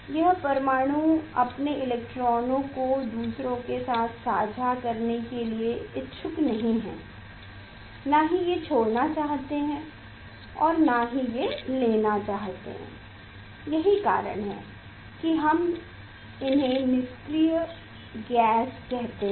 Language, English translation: Hindi, this atoms are not interested to share their electrons with others either do not want to except or do not want to get that is why it is how we tell them it is the inert gas